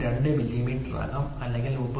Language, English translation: Malayalam, 02 millimeter or it can be 39